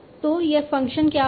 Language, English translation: Hindi, So what will be this function